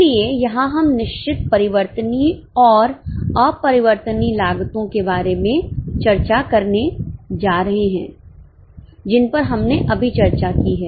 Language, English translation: Hindi, So, here we are going to discuss about fixed variable and same variable cost, which we have just discussed